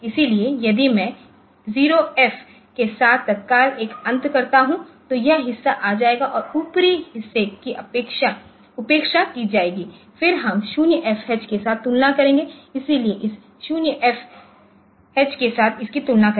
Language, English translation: Hindi, So, if I do an end immediate with 0 F then this part will be coming and the upper part will be neglected, then we compared with 0 FH, so compared with this with this 0 FH